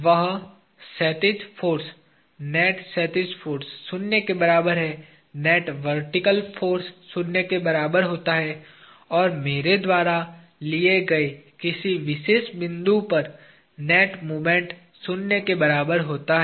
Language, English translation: Hindi, That horizontal force, net horizontal force, is equal to zero; net vertical force is equal to zero and net moment about any particular point that I take is equal to zero